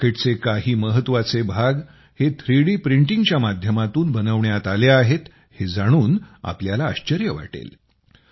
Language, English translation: Marathi, You will be surprised to know that some crucial parts of this rocket have been made through 3D Printing